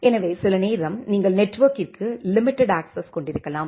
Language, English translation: Tamil, So, some time it may happen that you have a limited access to the network